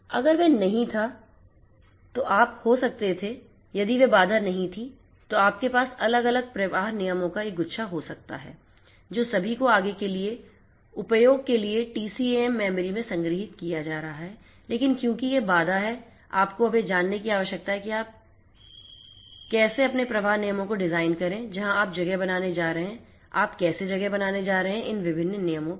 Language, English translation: Hindi, If that was not there you could have if that constant was not there you could have a bunch of different flow rules all being stored in the TCAM memory for further use, but because that constant is there you need to now know how you are going to design your flow rules, where you are going to place, how you are going to place and so on of these different rules